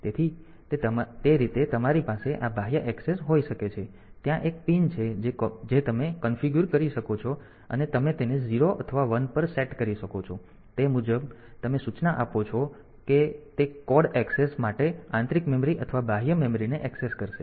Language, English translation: Gujarati, So, that way you can have this a so this external access there is a pin that you can configure and you can set it to 0 or 1 accordingly you are the instruction will access internal memory or external memory for code access